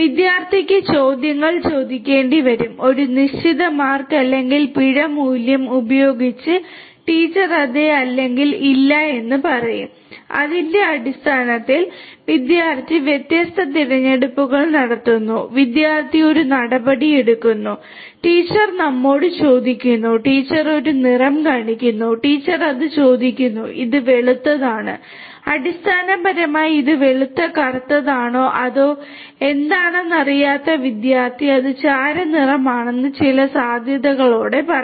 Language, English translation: Malayalam, The student will have to ask questions; the teacher will say yes or no with a certain marks or penalty value and based on that the student will keep on interacting making different choices, takes and action student takes an action you know the teacher asks that is this you know shows a color let us say the teacher shows a color and this the teacher asks that is it white then the student basically who does not know whether it is white black or what whatever it is will say that it is grey with certain probability